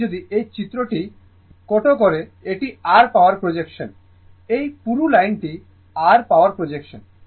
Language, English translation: Bengali, Now, if you come to this figure, this is your power expression, this is thick line is your power expression right